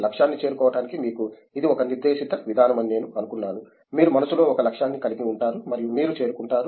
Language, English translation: Telugu, I thought it would be a directed approach to you know reach a goal, you would have a goal in mind and you would reach